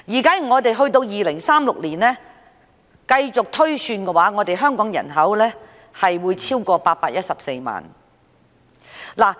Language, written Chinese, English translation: Cantonese, 到了2036年，推算香港人口將會超過814萬。, By 2036 it is projected that the Hong Kong population will exceed 8.14 million